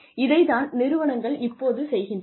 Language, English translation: Tamil, This is what organizations, are now doing